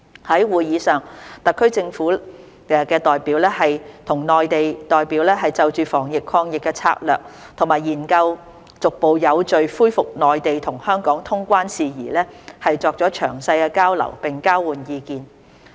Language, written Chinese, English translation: Cantonese, 在會議上，特區政府的代表與內地代表就防疫抗疫策略及研究逐步有序恢復內地與香港通關事宜作詳細交流並交換意見。, At the meeting Hong Kong SAR and Mainland representatives had detailed exchanges on the strategies to prevent and fight the virus and studied the resumption of quarantine - free travel between the Mainland and Hong Kong in a gradual and orderly manner